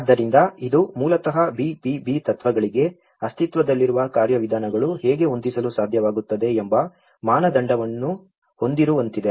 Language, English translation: Kannada, So, it is basically like having a benchmark how the existing mechanisms are able to set forth for the BBB principles